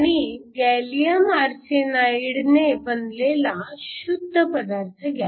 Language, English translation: Marathi, So, I can have gallium phosphide and gallium arsenide